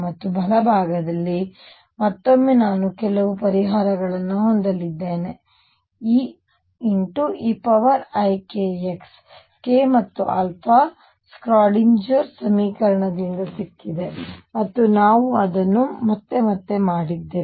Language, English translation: Kannada, And on the right side, again I am going to have some solution E e raise to i k x k and alpha come from the solution the Schrödinger equation and we have done it again and again